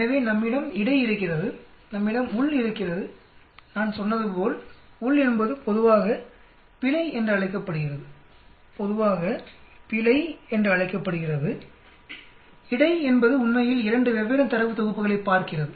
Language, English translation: Tamil, So we have between we have within and as I told you within is generally called error within is generally called error, between is actually looking at 2 different data sets